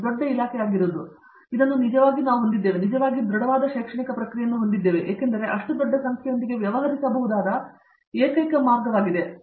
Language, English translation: Kannada, Being a big department, we actually have, we need to have and we do indeed have very robust academic processes because, that is the only way we can deal with such large numbers